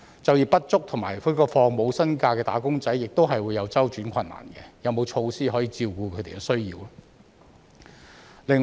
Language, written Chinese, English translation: Cantonese, 就業不足及放取無薪假的"打工仔"亦會有周轉困難，有沒有措施可以照顧他們的需要呢？, Unemployed wage earners and those who are on no - pay leave also have short - term financial difficulties . Are there any measures to cater for their needs?